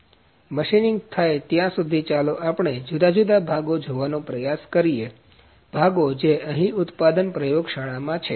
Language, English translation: Gujarati, So, by the time the machining happens let us try to see the different parts different, components which are here in the manufacturing in the 4i lab